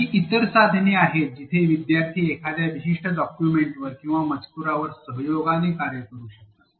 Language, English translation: Marathi, There are other tools where students can collaboratively work on a certain document or a text